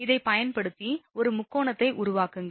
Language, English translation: Tamil, So, using this make a triangle, here right